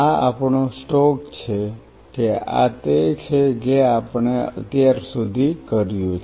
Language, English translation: Gujarati, This is our stock taking that this is all what we have done as of now